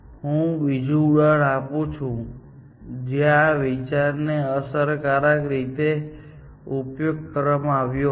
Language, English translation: Gujarati, So, let me give another example where, this idea was used effectively